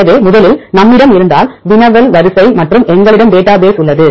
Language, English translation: Tamil, So, first, if we have the query sequence and we have database